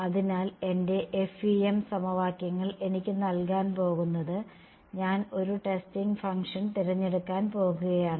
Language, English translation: Malayalam, So, my FEM equations are going to give me I am going to choose a testing function right